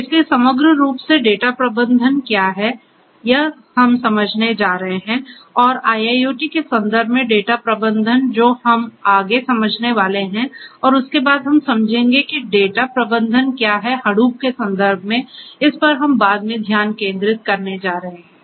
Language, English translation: Hindi, So, data management overall is what we are going to understand and data management in the context of IIoT is what are going to understand next and thereafter we are going to switch our gears and we will understand what is data management in the context of use of Hadoop, that is what we are going to focus on thereafter